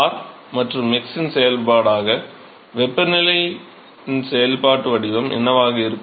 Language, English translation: Tamil, So, what will be the functional form of the temperature as a function of r and x